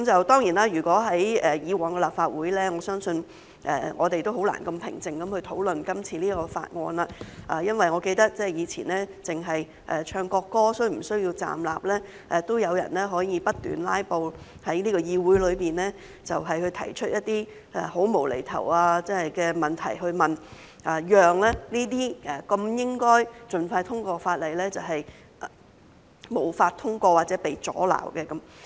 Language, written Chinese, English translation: Cantonese, 當然，如果是以往的立法會，我相信我們是難以如此平靜地討論今次這項條例草案，因為我記得以往只是討論唱國歌時是否需要站立，也會有人不斷"拉布"，又在議會內提出一些很"無厘頭"的問題，讓這些應該獲盡快通過的法例無法通過或被阻撓。, Of course should we be still in the past Legislative Council I believe it would have been difficult for us to discuss this Bill so calmly because as I recall even when we discussed whether we should stand during the singing of the national anthem some Members would keep filibustering and raising inane questions in this Council in order to fail or block those bills that required urgent passage